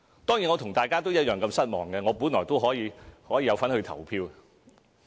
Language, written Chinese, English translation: Cantonese, 當然，我和大家一樣失望，因為本來我也可以有份去投票。, Of course just like everyone I am very disappointed as I should have been able to cast my vote in this election